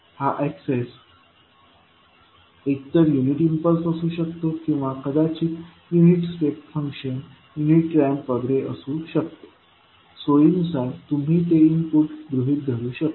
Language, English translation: Marathi, So, this access can be either unit impulse or maybe unit step function, unit ramp, whatever it is, you can assume it convenient input